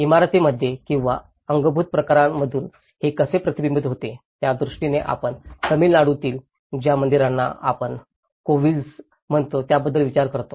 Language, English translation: Marathi, In terms of how it is reflected in the buildings or the built forms, we think about the temples in Tamil Nadu which we call the kovils